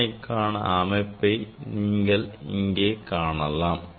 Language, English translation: Tamil, here you can see the experimental setup